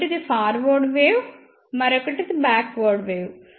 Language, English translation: Telugu, First one is forward wave; and another one is backward wave